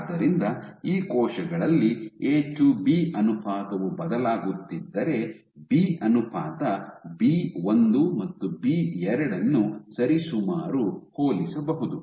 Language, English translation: Kannada, So, A to B ratio is varying in these cells while B ratio B1 and B2 are roughly comparable ok